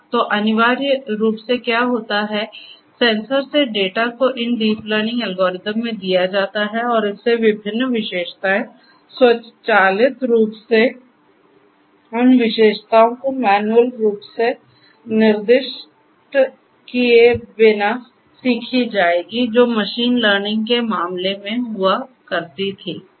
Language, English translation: Hindi, So, essentially what happens is the raw data from the sensors are fed into these deep learning algorithms and from that different features will automatically different features will automatically get learnt without actually manually specifying those features which used to happen in the case of machine learning